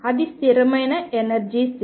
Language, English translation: Telugu, That is a fixed energy state all right